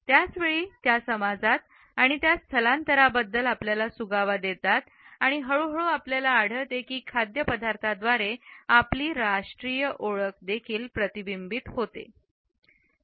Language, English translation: Marathi, At the same time it gives us clues about the migration within and across societies and gradually we find that food becomes a reflection of our national identities also